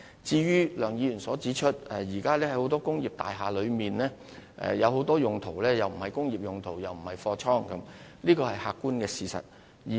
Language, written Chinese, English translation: Cantonese, 至於梁議員指出，現時很多工業大廈被用作既不是工業又不是貨倉的用途，這是客觀事實。, Regarding Mr LEUNGs view that many industrial buildings are currently used for neither industrial nor godown purposes I think it is an objective fact